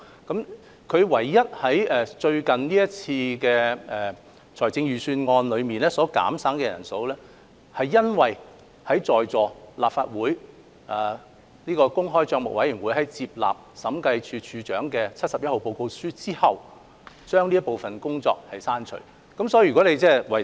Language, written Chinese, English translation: Cantonese, 港台唯一在最近這次的預算案削減人手，是因為立法會政府帳目委員會接納了《審計署署長第七十一號報告書》後，港台負責教育電視節目製作的職位被刪除。, The only one case of manpower reduction that RTHK experiences under the latest Budget is attributable to the fact that the Public Accounts Committee of the Legislative Council has accepted the Director of Audits Report No . 71 . The RTHK posts responsible for production of ETV programmes are then deleted